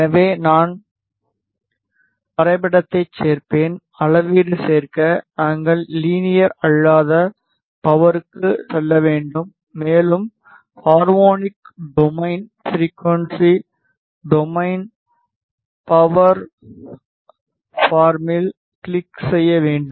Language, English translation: Tamil, So, I will add graph IF out add measurement, we have to go to non linear power and we have to click on harmonic domain frequency domain power Pharm